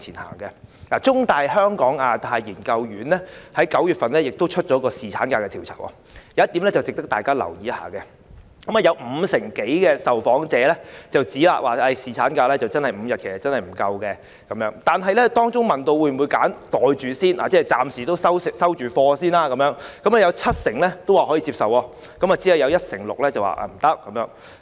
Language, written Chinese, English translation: Cantonese, 根據香港中文大學香港亞太研究所於9月份發表有關侍產假的調查，當中有一點值得大家留意，有五成多受訪者指侍產假增至5天不足夠，但當被問到應否"袋住先"——即暫時"收貨"——有七成表示可以接受，只有一成六表示不接受。, According to the survey findings on paternity leave by the Hong Kong Institute of Asia - Pacific Studies of The Chinese University of Hong Kong published in September some 50 % of the respondents do not think the increase of paternity leave to five days is long enough but 70 % of them accept it and are willing to pocket it first and only 16 % do not consider it acceptable